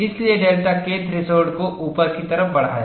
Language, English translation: Hindi, Here, the delta K threshold is 0